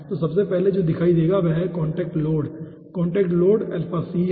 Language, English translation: Hindi, so first, whatever will be showing is that contact load, contact load is alpha c